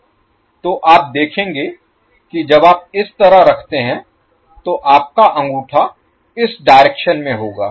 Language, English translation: Hindi, So you will see when you place end like this your thumb will be in this direction